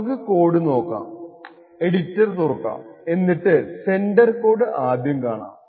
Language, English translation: Malayalam, Okay, so let us go into the code we will open our editor and look at the sender code first